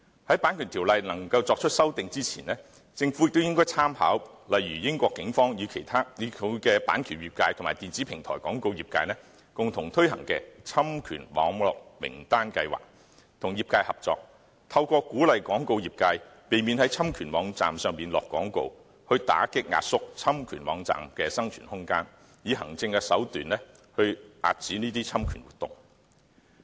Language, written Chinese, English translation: Cantonese, 在《版權條例》作出修訂之前，政府也應參考例如英國警方與版權業界及電子平台廣告業界共同推行的侵權網絡名單計劃，與業界合作，透過鼓勵廣告業界避免在侵權網站下廣告，打擊壓縮侵權網站的生存空間，以行政手段遏止侵權活動。, Before that the Government should work with the industry making reference to examples such as the Infringing Website List jointly introduced by the Police the copyright industry and the electronic platform advertising industry in the United Kingdom . The list curbs infringement activities through administrative measures by discouraging the advertising industry from advertising on infringing websites and thereby suppresses and compresses the room of survival of infringing websites